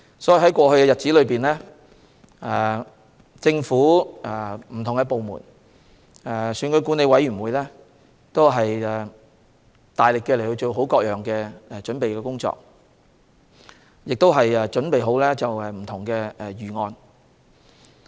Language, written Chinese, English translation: Cantonese, 所以，在過去一段日子，不同的政府部門，以及選舉管理委員會都大力進行各項準備工作，亦備妥不同方案。, Hence for a certain period of time in the past different government departments and the Electoral Affairs Commission EAC have vigorously carried out the preparation work and have also formulated different options